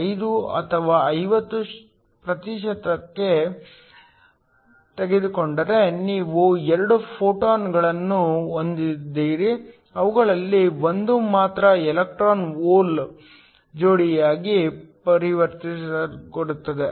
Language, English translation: Kannada, 5 or 50 percent, if you have 2 photons coming in only 1 of them will get converted to an electron hole pair